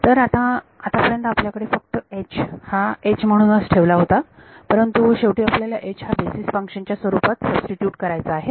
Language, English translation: Marathi, So, now, so far we have only kept H as H now we finally have to substitute H in terms of these basis functions right